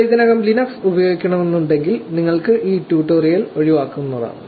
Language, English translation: Malayalam, If you using Linux already like I said you can just skip this tutorial